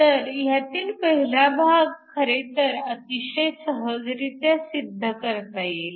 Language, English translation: Marathi, So, the first part can actually be very easily shown